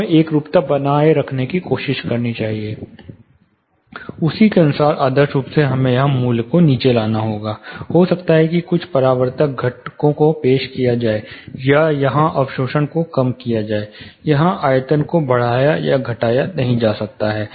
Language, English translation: Hindi, We have to try and maintain uniformity, according to that, if you go by that motion then, ideally we will have to bring down the value here maybe introduce some reflective components or reduce the absorption here, volume you cannot naturally do things here